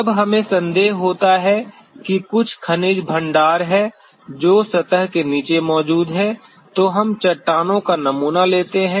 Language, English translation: Hindi, When we suspect that there is some mineral deposit which is present below the surface then we sample the rocks